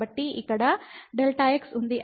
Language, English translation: Telugu, So, this is delta x